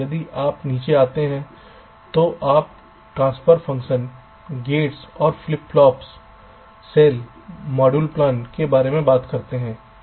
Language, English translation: Hindi, if you go down, you talk about transfer functions, gates and flip flops, cells and module plans